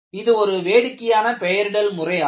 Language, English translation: Tamil, You know, it is a very funny nomenclature